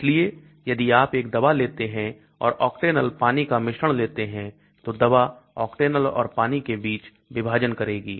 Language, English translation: Hindi, So if you take a drug and take a mixture of Octanol and water, drug will partition between octanol and water